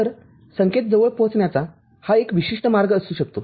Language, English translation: Marathi, So, that could be one particular way of approximating the signal